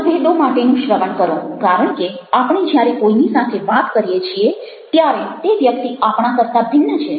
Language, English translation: Gujarati, listen for differences, because when we talk to somebody else, the person is somebody other than us ourselves